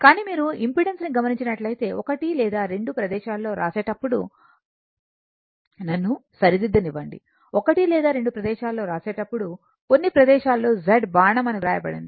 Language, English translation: Telugu, But, if you look at the, if you look at the impedance, impedance when you write one or two places let me rectify you, one or two places while making the load some places it is written Z arrow